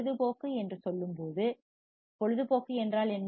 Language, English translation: Tamil, When say entertainment what does entertainment means